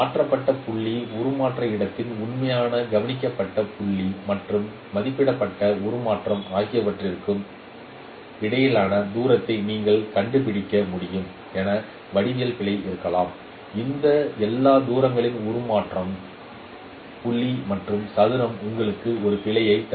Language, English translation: Tamil, Like you can find out the distance between the transformed point, true observed point in the transformation space and the estimated transformation point and square of all these distances can give you an error